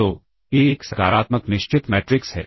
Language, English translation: Hindi, So, A is a positive definite matrix